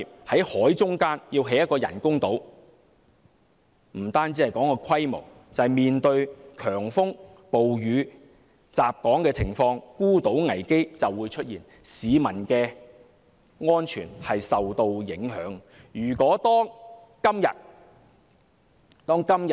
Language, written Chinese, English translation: Cantonese, 在海中央興建人工島，即使不談人工島的規模，單單在面對強風、暴雨襲港時，孤島危機也會出現，市民的安全受到影響。, The construction of artificial islands in the middle of the sea not to mention the scale of the artificial islands will pose a potential risk of isolation on islands when Hong Kong is struck by violent storms and rainstorms and the safety of the public will be affected